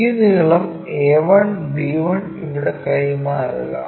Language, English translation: Malayalam, Transfer this length a 1 b 1, a 1 b 1 there